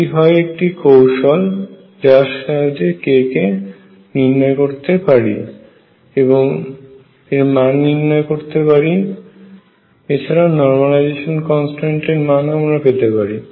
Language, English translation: Bengali, This is a trick through which we count case we can enumerate k and we can also fix the normalization constant